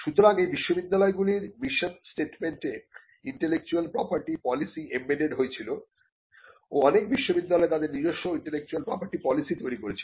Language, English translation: Bengali, So, the intellectual property policy was also embedded in the mission statements of these universities and some universities also created their own intellectual property policy